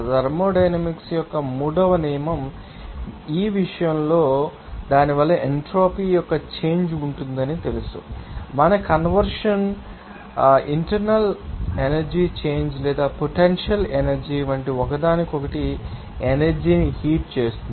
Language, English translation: Telugu, And in the case of you know that third law of thermodynamics, you know that there will be a change of entropy because of that, you know, our conversion would, you know, heat energy into each other forms like internal energy change or potential energy kinetic energy change there